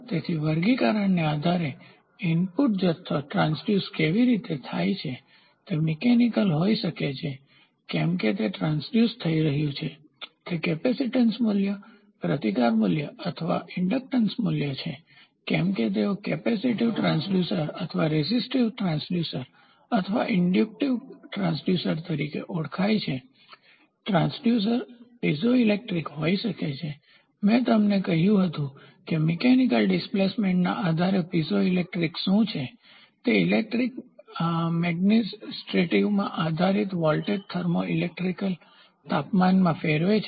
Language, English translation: Gujarati, So, the based on the classification is of how the input quantity is transduced input can be mechanical how it is getting transduced; whether, it is the capacitance value, resistance value or and inductance value, they are known as capacitive transducer or resistive transducer or inductive transducers, the transducers can be Piezoelectric, I told you; what is Piezoelectric based upon mechanical displacement, it converts into voltage thermos electrical temperature based into electric magnetostrictive